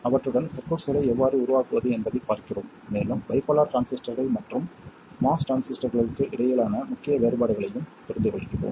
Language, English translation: Tamil, We see how to make circuits with them and also understand key differences between bipolar transistors and MOS transistors